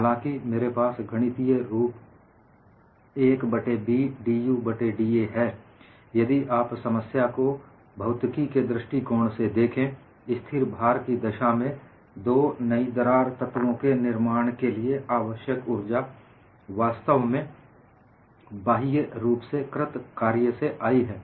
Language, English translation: Hindi, Though I have 1 by B dU by da mathematically, if you look at from physics of the problem, in the case of a constant load, we would see the energy requirement for the formation of two new crack surfaces has actually come from the external work